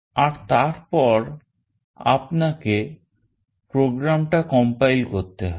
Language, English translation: Bengali, And then you have to compile the program